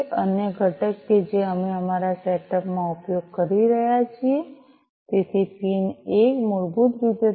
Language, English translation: Gujarati, The other component that we are using in our setup so; PIN 1 basically is the 3